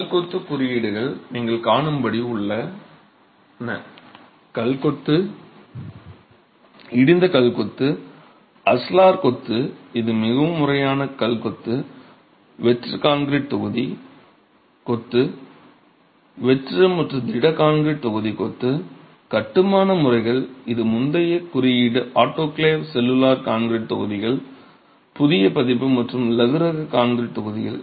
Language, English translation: Tamil, So, as you can see, there are codes for stone masonry, a code of practice for stone masonry, rubble stone masonry, ashlar masonry, which is a more formal stone masonry, hollow concrete concrete block masonry, hollow and solid concrete block masonry, construction methods, that's a late, a newer version of the previous code, autoclaved cellular concrete blocks, and lightweight concrete blocks